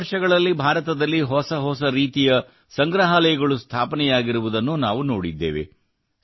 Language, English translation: Kannada, In the past years too, we have seen new types of museums and memorials coming up in India